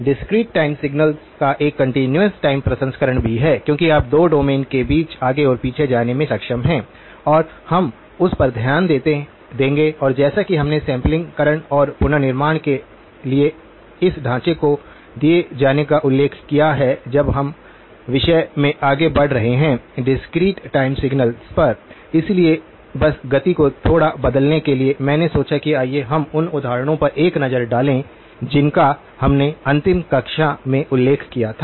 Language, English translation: Hindi, There is also a continuous time processing of discrete time signals because you are able to go back and forth between the two domains and we will look at that and as we mentioned having given this framework for sampling and reconstruction, we are now moving into the topic on discrete time signals, so just to sort of change the pace a little bit, I thought that let us take a look at the examples that we which I mentioned in the last class